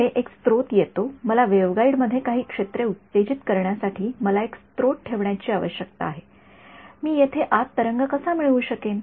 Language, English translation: Marathi, Next comes a source I need to put a source to excite some field in the waveguide how will I get the wave in there